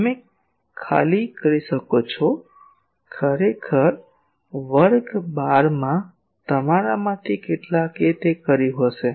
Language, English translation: Gujarati, You can simply do it; actually in class 12 some of you may have done it